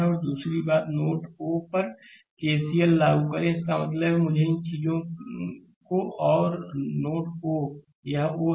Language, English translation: Hindi, Now second thing is you apply KCL at node o; that means, let me these thing this is your node o right it is o